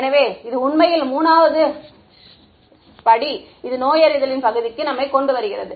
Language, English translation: Tamil, So, that is actually brings us to step 3 the diagnosis part